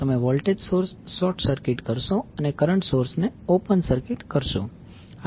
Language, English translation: Gujarati, You will short circuit the voltage source, and open circuit the current source